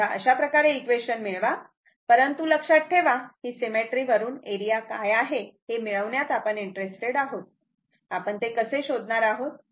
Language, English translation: Marathi, So, in this way you have to get the equation, but remember from the symmetry our interest to get what is the area right how we will find out